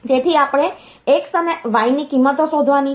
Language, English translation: Gujarati, So, we have to find out the values of x and y